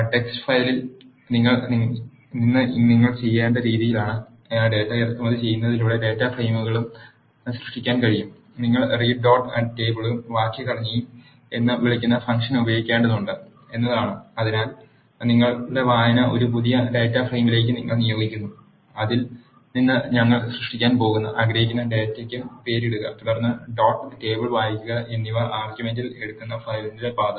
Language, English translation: Malayalam, Data frames can also be created by importing the data from text file to the way you have to do it is you have to use the function called read dot table and the syntax for that is you assign the data which your reading to a new data frame you have name that data from which you want to create and then read dot table takes in the argument the path of the file